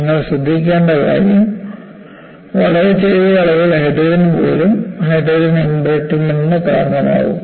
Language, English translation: Malayalam, And what you will have to notice is, very small amounts of hydrogen can cause hydrogen embrittlement